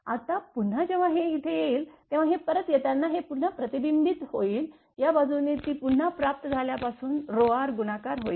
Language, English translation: Marathi, Now, again when it will come here right when it will be when it will coming here again it will be reflected back from the receiving end therefore, this side again it will be multiplied by rho r